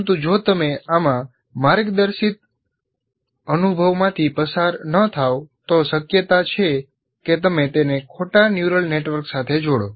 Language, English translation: Gujarati, But if you do not go through a guided experience in this, there is a possibility that you connect it to the wrong network, let's say, neural network